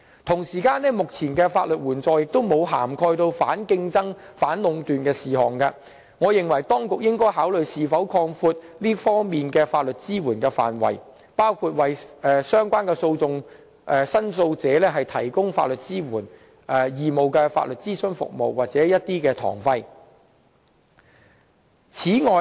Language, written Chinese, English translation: Cantonese, 此外，目前的法律援助並無涵蓋反競爭、反壟斷的事宜，我認為當局應該考慮是否擴闊這方面的法律支援的範圍，包括為相關的訴訟申訴者提供法律支援、義務法律諮詢服務或堂費資助。, What is more the existing scope of our legal aid scheme does not cover matters concerning anti - competitive practices or anti - monopoly . I opine that the Government should consider whether such scope should be expanded to cover issues on the provision of legal aid to the complainants concerned provision of free legal advice service or court costs subsidies